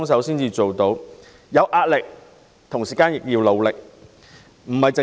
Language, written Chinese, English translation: Cantonese, 雖然大家有壓力，但仍很努力。, Although we are under great pressure we are working hard